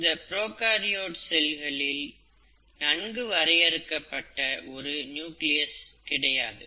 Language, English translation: Tamil, There is no well defined nucleus in a prokaryotic cell